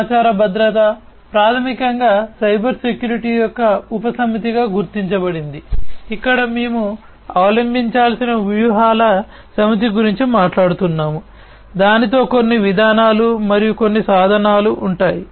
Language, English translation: Telugu, Information security, it is basically recognized as a subset of Cybersecurity, where we are talking about a set of strategies that should be adopted, which will have some policies associated with it, some tools and so on